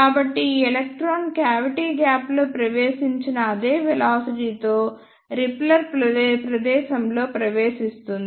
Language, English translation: Telugu, So, this electron will enter in the repeller space with the same velocity with which it entered in the cavity gap